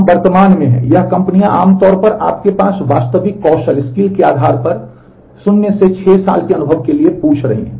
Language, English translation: Hindi, We are at present, it is companies are typically asking for 0 to 6 years of experience depending on actual skills that you have